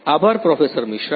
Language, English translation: Gujarati, Thank you Professor Misra